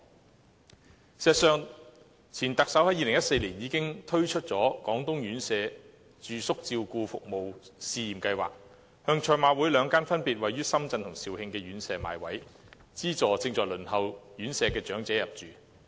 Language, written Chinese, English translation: Cantonese, 事實上，前特首在2014年已經推出了"廣東院舍住宿照顧服務試驗計劃"，向賽馬會兩間分別位於深圳及肇慶的院舍買位，資助正在輪候院舍的長者入住。, Indeed the then Chief Executive introduced in 2014 the Pilot Residential Care Services Scheme in Guangdong . Under this scheme places are bought from the Hong Kong Jockey Club at two of its residential care homes in Shenzhen and Zhaoqing and these subsidized places are then made available to elderly persons on residential care home waiting list